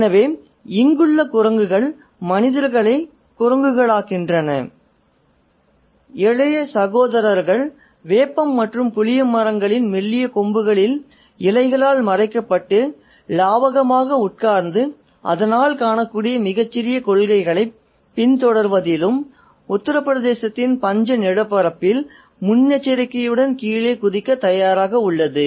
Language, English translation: Tamil, , the monkeys here apes the human beings and the younger fraternity sat adroitly, skillfully on the thinnest boughs of neem and tamarine trees camouflaged by the leaves and so poised as to jump down with alacrity in pursuit of any meagre spoils that may be visible in the famished landscape of Uttar Pradesh